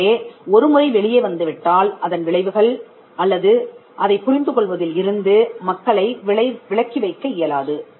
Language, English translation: Tamil, So, once it is out there is no way you can exclude people from taking effect of it or in understanding how that particular thing was done